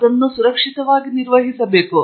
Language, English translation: Kannada, So it has to be handled safely